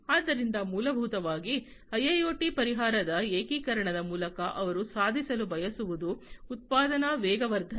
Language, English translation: Kannada, So, essentially through the integration of IIoT solution what they want to achieve is the production acceleration